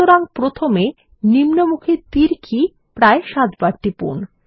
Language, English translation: Bengali, So first let us press the down arrow key about seven times